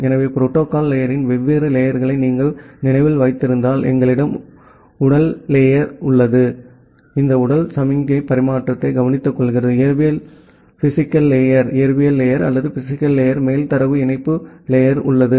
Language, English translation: Tamil, So, if you remember the different layers of the protocol stack at the bottom we have the physical layer; which takes care of physical signal transmission, on top of the physical layer we have the data link layer